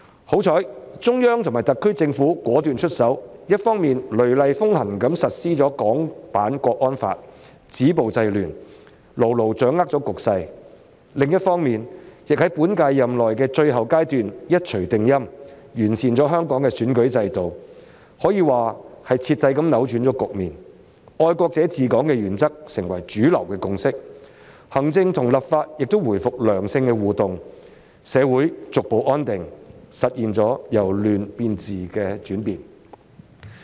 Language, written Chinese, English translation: Cantonese, 幸好，中央及特區政府果斷出手，一方面雷厲風行實施《香港國安法》，止暴制亂，牢牢掌控了局勢。另一方面，亦在本屆任期的最後階段，一錘定音完善香港的選舉制度，可說是徹底扭轉局面，"愛國者治港"原則成為主流共識，行政與立法亦回復良性互動，社會逐步安定，實現了由亂變治的轉變。, Fortunately the Central Government and SAR Government have acted with determination by vigorously implementing the Hong Kong National Security Law on the one hand to stop violence curb disorder and bring the situation under firm control while making a decisive move on the other hand in the final stage of the current term to improve the electoral system of Hong Kong thereby completely turning the tide and making the principle of patriots administering Hong Kong the mainstream consensus . This has helped to re - establish positive interactions between the executive and the legislature as well as ensure a gradual stabilization of our society thus stopping chaos and restoring order in Hong Kong